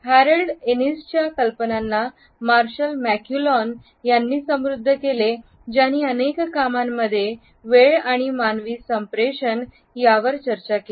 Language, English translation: Marathi, The ideas of Harold Innis were further enriched by Marshall McLuhan who discussed time and human communication in several works